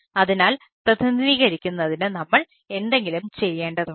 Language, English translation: Malayalam, so for representing i need to, we need to do a something